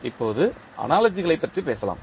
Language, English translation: Tamil, Now, let us talk about the analogies